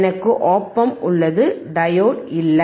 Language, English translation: Tamil, I have just op amp right, diode is not there